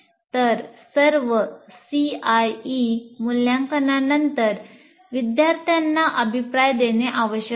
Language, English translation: Marathi, So one needs to give feedback to students after all CIE assessments